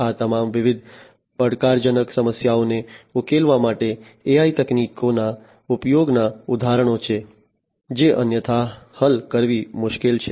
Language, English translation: Gujarati, These are all examples of use of AI techniques to solve different challenging problems, which otherwise are difficult to solve